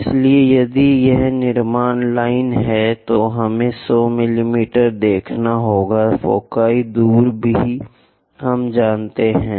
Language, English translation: Hindi, So, if it is construction lines we have to show 100 mm; foci distance also we know